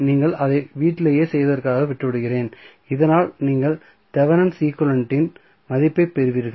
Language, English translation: Tamil, So I will leave it for you to do it at home so, that you get the value of the Thevenin equivalents